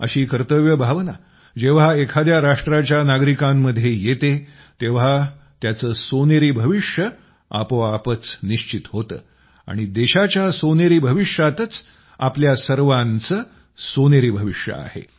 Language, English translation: Marathi, When such a sense of duty rises within the citizens of a nation, its golden future is automatically ensured, and, in the golden future of the country itself, also lies for all of us, a golden future